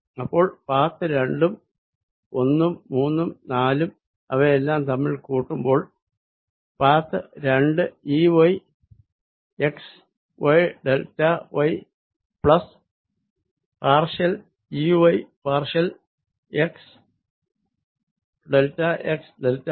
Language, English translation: Malayalam, so path two and path one and path three and path four when they are added together, path two was e, y, x, y, delta y, plus partial e, y, partial x, delta x, delta y